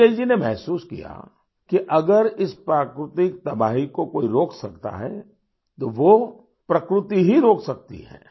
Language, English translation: Hindi, Bijoyji felt that if anything can stop this environmental devatation, theonly thing that can stop it, it is only nature